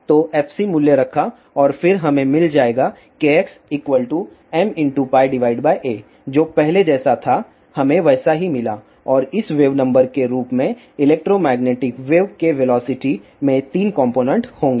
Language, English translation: Hindi, So, put the value of fc and then we will get k x is equal to m pi by a which is same as we got earlier and same as this wave number the velocity of the electromagnetic wave will have 3 components